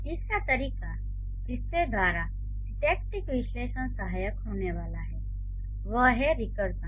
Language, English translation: Hindi, So, the third relevant thing or the third way by which the syntactic analysis is going to be helpful is recursion